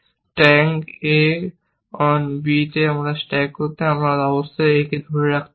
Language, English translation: Bengali, To stack a on b, you must be holding a